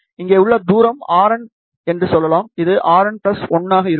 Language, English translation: Tamil, The distance here this is let us say R n, this will be R n plus 1